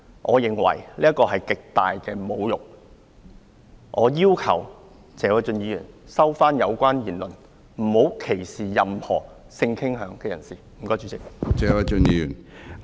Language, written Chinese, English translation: Cantonese, 我認為這是極大的侮辱，我要求謝偉俊議員收回有關言論，不要歧視任何性傾向人士，多謝主席。, I thus ask Mr Paul TSE to withdraw those words and not to discriminate against anyone because of his sexual inclination . Thank you President